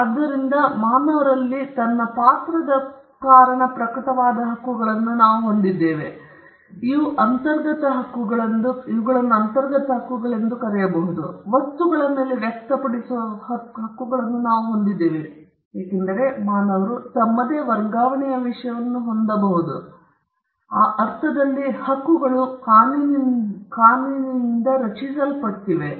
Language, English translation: Kannada, So, we have a set of rights that manifest in a human being because of his character of being a human being those who are what we called inherent rights; and we also have rights that express on things, because human beings can possess own transferred things; in that sense rights are created by the law